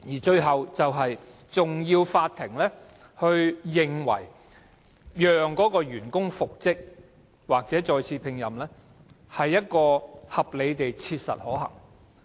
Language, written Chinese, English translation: Cantonese, 最後一關是法院必須認為，讓該名員工復職或再次聘任是合理地切實可行的。, The last hurdle is that the court must consider whether reinstatement or re - engagement of the employee is reasonably practicable